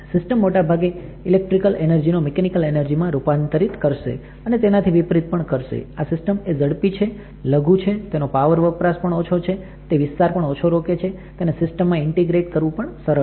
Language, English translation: Gujarati, The system generally transforms the electrical energy to mechanical or vice versa, this system is faster, miniaturized, it carries a lower power consumption, its device area will be lesser, it is easy to integrate in a system